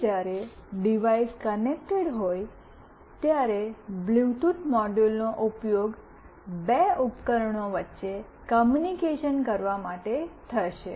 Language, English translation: Gujarati, Next when the device is connected, so the Bluetooth module will be used for communicating between two device